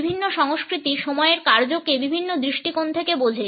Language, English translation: Bengali, The way different cultures understand the function of time can be understood from several different angles